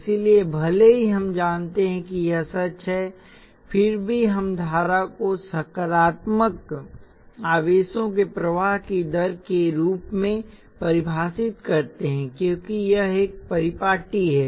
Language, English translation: Hindi, So even though we know that is true we still define the current as rate of flow of positive charges, because that is the convention